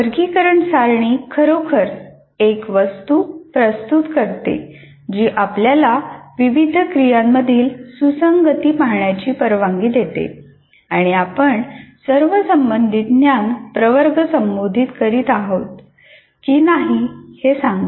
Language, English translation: Marathi, So the taxonomy table really presents you as a kind of a, it's an artifact that allows you to look at the alignment between various activities or whether we are addressing all the relevant knowledge categories or not